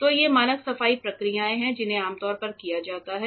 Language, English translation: Hindi, So, these are standard cleaning procedures that are usually carried out ok